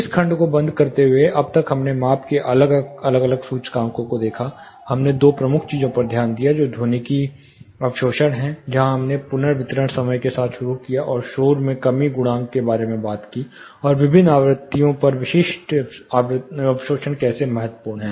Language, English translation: Hindi, (Refer Slide Time: 34:18) Closing this section, so far we looked at different indices of measurement, we looked at two key things one is acoustic absorption, where we started with reverberation time and talked about noise reduction coefficient, and specific absorption at different frequencies how it is important